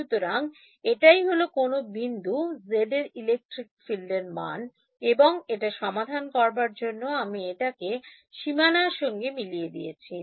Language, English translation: Bengali, So, this is the value of the electric field that any point z and to solve it I am matching it on the boundary